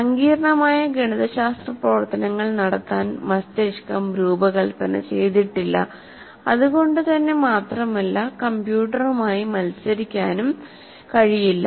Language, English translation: Malayalam, So brain is not designed to perform complex mathematical operations and cannot be in competition with the computer